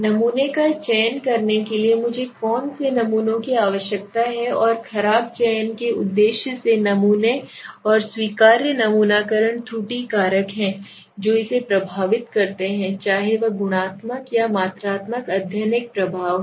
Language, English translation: Hindi, What samples do I need so the risk of selecting the sample and the purpose of selecting bad samples and allowable sampling error are the factor which influence this whether it is a qualitative or quantitative study that also has an effect now